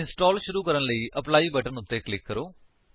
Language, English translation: Punjabi, Click on Apply button to start the installation